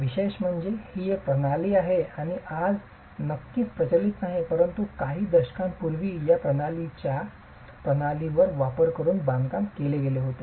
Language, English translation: Marathi, Interestingly this is a system that is of course not very prevalent today, but a few decades ago we still had constructions being made using this sort of a system